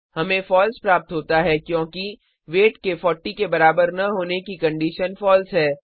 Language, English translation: Hindi, We get a false because the condition weight not equal to 40 is false